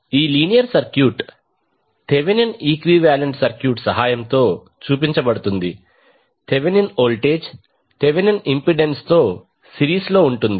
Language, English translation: Telugu, This linear circuit will be represented with the help of Thevenin equivalent, we will have Thevenin voltage in series with Thevenin impedance